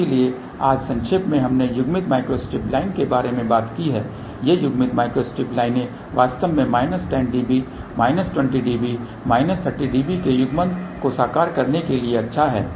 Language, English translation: Hindi, So, today just to summarize we talked about coupled micro strip line these coupled micro strip lines are actually speaking good for realizing coupling of minus 10 db or minus 20 db or minus 30 db